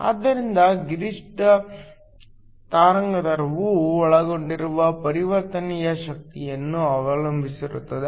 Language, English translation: Kannada, So, The maximum wavelength depended upon the energy of the transition that was involved